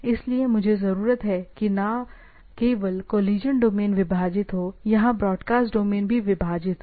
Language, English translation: Hindi, So, I require so, this not only the collision domains are divided, there the broadcast domains are divided